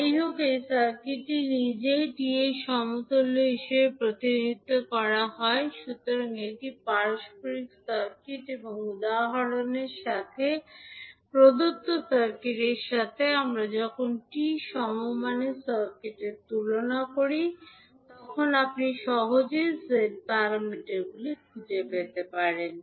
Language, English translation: Bengali, Anyway, this circuit itself is represented as T equivalent, so this is reciprocal circuit and when we compare with the T equivalent circuit with the circuit given in the example you can easily find out the value of the Z parameters